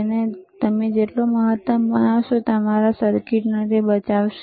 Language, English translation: Gujarati, Always make it maximum, that will that will save your circuit, all right